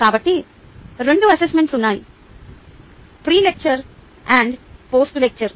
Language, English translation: Telugu, so there were two ah assessments: pre lecture and post lecture